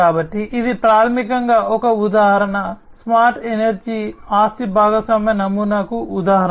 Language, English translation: Telugu, So, and so this is basically an example smart energy is an example of asset sharing model